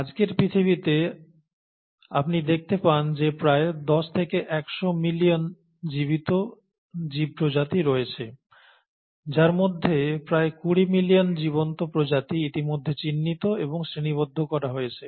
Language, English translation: Bengali, You find that there are close to about ten to hundred million species, living species living on earth as of today, of which about two million living species have been already identified and classified